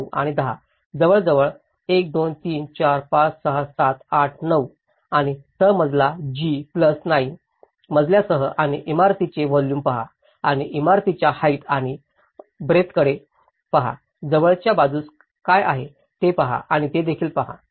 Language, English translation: Marathi, 9, 10 almost, 1, 2, 3, 4, 5, 6, 7, 8, 9 and with the ground floor G plus 9 floors and look at the volume of the building and look at the height and breadth of the building whether, in and also look at what is on the adjacent sides